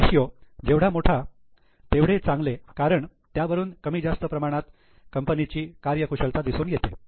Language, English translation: Marathi, Higher the ratio will be good because that shows a more or a more efficiency of the company